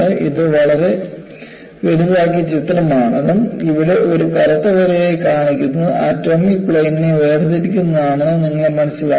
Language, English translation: Malayalam, So you will have to understand, that this is a very highly magnified picture, and what is shown as a black line here is, splitting apart of atomic planes